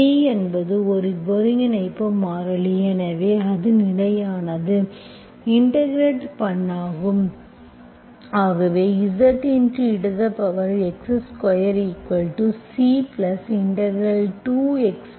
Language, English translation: Tamil, C is integration, integration constant is arbitrary constant